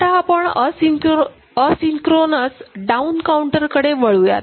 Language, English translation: Marathi, Now, we look at asynchronous down counter ok